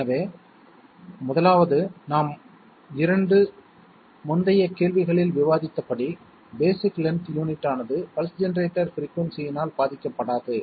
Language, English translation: Tamil, So 1st of all, as we have discussed in 2 previous questions basic length unit is not affected by pulse generator frequency